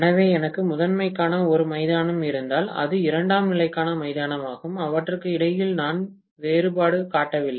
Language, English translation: Tamil, So, if I have a ground for primary, it is very much the ground for secondary also, I am not differentiating between them